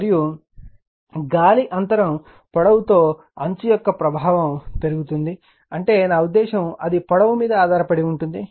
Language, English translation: Telugu, And the effect of fringing increases with the air gap length I mean it is I mean it depends on the length right